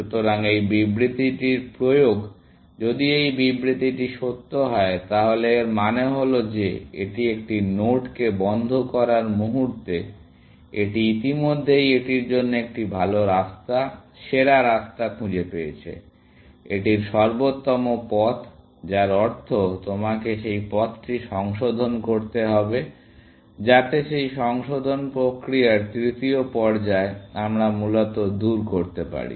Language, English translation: Bengali, So, the application of this statement, if this statement were to be true, it means that it, the moment it puts a node into closed, it has already found a better path, best path to it; optimal path to it, which means you have to revise that path, so that, the third stage of that revision process, we can do away with, essentially